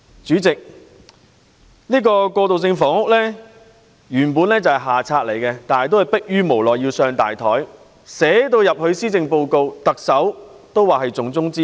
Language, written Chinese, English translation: Cantonese, 主席，過渡性房屋原本是下策，但逼於無奈而要寫在施政報告之內，特首更說這是重中之重。, President transitional housing is basically an inferior policy yet the Government has no choice but put it in the Policy Address . The Chief Executive even said that this is a top priority